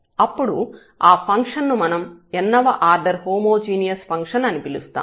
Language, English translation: Telugu, So, we will call this such a function a function a homogeneous function of order n